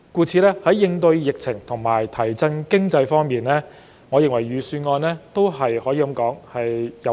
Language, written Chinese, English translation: Cantonese, 在應對疫情和提振經濟方面，我認為預算案稱得上有擔當。, In view of the endeavours made to fight the epidemic and boost the economy I think that the Budget exhibits a responsible attitude